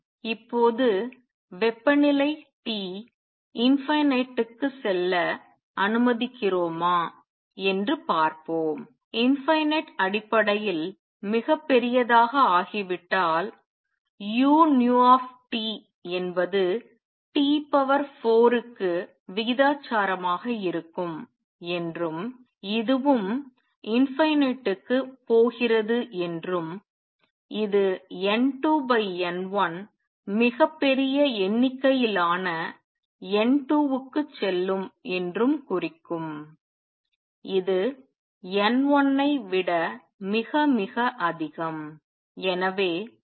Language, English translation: Tamil, Now, let us see if we let temperature T go to infinity basically become very large then I know that u nu T is proportional T raise to four and this is also go to infinity and this would imply N 2 over N 1 will go to a very large number N 2 would be much much much greater than N 1